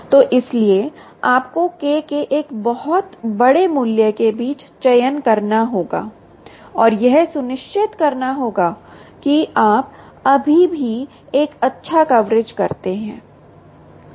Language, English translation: Hindi, so therefore you have to choose between a very large value of k and ensure that you still do a good coverage right